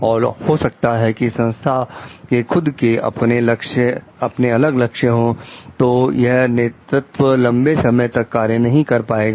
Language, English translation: Hindi, And maybe the organization itself has a different goal, then this leadership is not going to work for a long